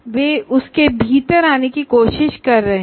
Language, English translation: Hindi, They are trying to come within that